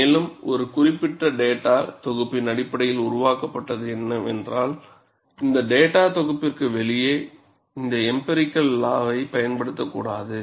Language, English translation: Tamil, And if it is developed based on a particular data set, you should not use this empirical law outside this data set